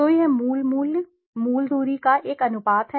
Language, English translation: Hindi, So, it is a ratio of the original value, original distance